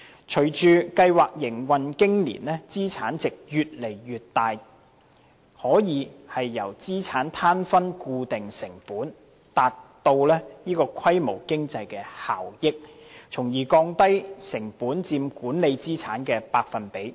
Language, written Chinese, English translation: Cantonese, 隨着計劃營運經年，資產值越來越大，可以由資產攤分固定成本，達致規模經濟效益，從而降低成本佔管理資產的百分比。, As the MPF System has been implemented for years the total asset value is increasingly substantial . The Administration should consider the practice of sharing the fixed costs from the total asset so as to achieve economies of scale thereby lowering the percentage of costs in the total assets under management